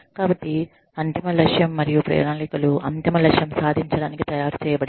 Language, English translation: Telugu, So, the ultimate goal and the plans, that are made to achieve that, ultimate goal